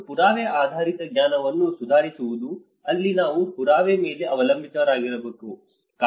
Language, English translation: Kannada, And improving the evidence based knowledge: where we have to rely on the evidence based